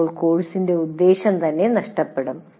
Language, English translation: Malayalam, Then the very purpose of the course itself is lost